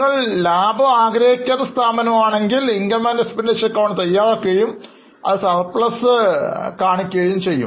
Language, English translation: Malayalam, If you are a non profit organization then you will prepare income and expenditure account and it will give you the surplus